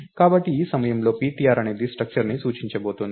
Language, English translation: Telugu, So, at this point ptr is going to point to the structure